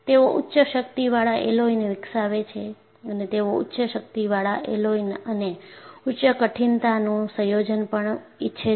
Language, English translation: Gujarati, They develop high strength alloys and they also want to have combination of high strength alloys and high toughness